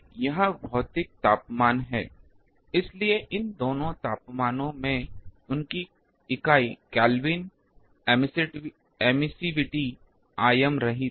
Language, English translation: Hindi, This is the physical temperature, so both these temperature their unit is Kelvin emissivity is dimensionless